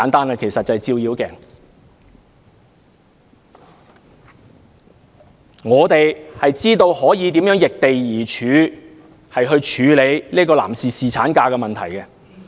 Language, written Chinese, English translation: Cantonese, 我們應該明白如何易地而處，處理男士侍產假的問題。, We should understand how to put ourselves in others place when dealing with the issue of paternity leave